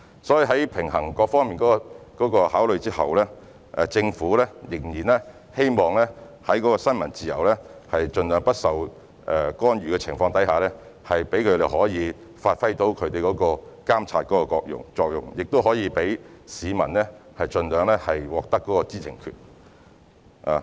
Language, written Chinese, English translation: Cantonese, 所以，在平衡各方面的考慮後，政府仍然希望在新聞自由盡量不受干預的情況下，讓記者可以發揮監察作用，亦可以讓市民盡量獲得知情權。, Thus after balancing various considerations the Government still hopes that it can avoid interfering with freedom of the press as far as possible so as to enable journalists to exercise their monitoring function so that the public can access information as much as possible